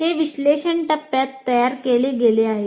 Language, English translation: Marathi, We have created this in the analysis phase